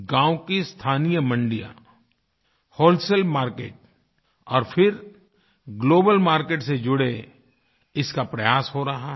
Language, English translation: Hindi, Efforts are on to connect local village mandis to wholesale market and then on with the global market